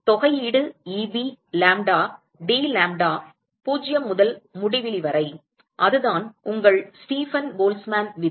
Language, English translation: Tamil, Integral Eb,lambda dlambda 0 to infinity that is your Stefan Boltzmann law